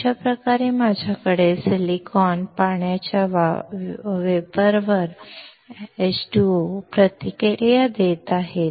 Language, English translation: Marathi, In that case, I have silicon reacting with water vapor